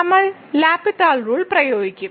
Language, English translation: Malayalam, So, we will apply the L’Hospital rule